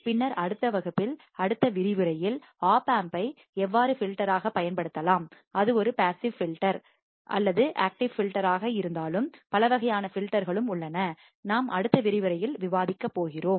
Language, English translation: Tamil, And then in the next class, in the next lecture, we will see how the opamp can be used as a filter, whether it is a passive filter,or it is an active filter and there are several type of filter that we will be discussing in the next lecture